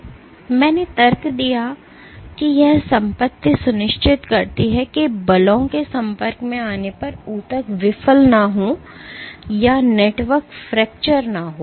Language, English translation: Hindi, And I argued that this property ensures that tissues do not fail or networks do not fracture when exposed to forces